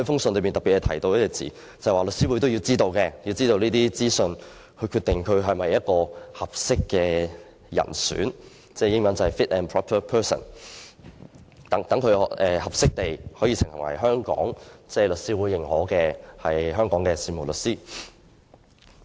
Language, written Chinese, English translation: Cantonese, 信中特別提到一個用詞，就是律師會必須獲得有關資訊才可決定申請人是否一名適當人士，英文是 "fit and proper person"， 確保申請人是適當作為律師會認許的香港事務律師。, A term namely fit and proper is specifically mentioned in the letter . The Law Society must obtain the relevant materials before determining whether a person is fit and proper to be recognized as a solicitor by The Law Society